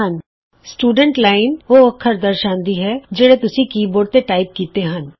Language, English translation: Punjabi, The Students Line displays the characters that are typed by you using the keyboard